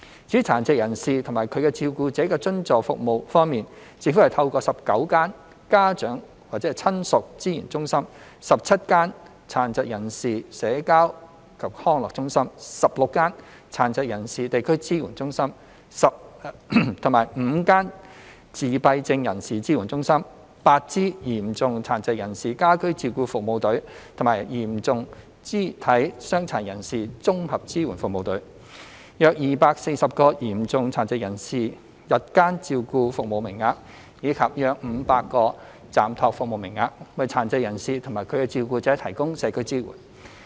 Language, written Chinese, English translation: Cantonese, 至於殘疾人士及其照顧者的津助服務方面，政府透過19間家長/親屬資源中心、17間殘疾人士社交及康樂中心、16間殘疾人士地區支援中心、5間自閉症人士支援中心、8支嚴重殘疾人士家居照顧服務隊及嚴重肢體傷殘人士綜合支援服務隊、約240個嚴重殘疾人士日間照顧服務名額，以及約500個暫託服務名額，為殘疾人士及其照顧者提供社區支援。, Subvented support services for persons with disabilities and their carers are provided by the Government through 19 ParentsRelatives Resource Centres 17 Social and Recreational Centres for the Disabled 16 District Support Centres for Persons with Disabilities 5 Support Centres for Persons with Autism 8 service teams for Home Care Service for Persons with Severe Disabilities and Integrated Support Service Teams for Persons with Severe Physical Disabilities; and around 240 places of Day Care Service for Persons with Severe Disabilities and around 500 respite service places are available to provide community support for persons with disabilities and their carers